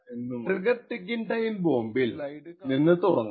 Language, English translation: Malayalam, So, let us start with trigger ticking time bombs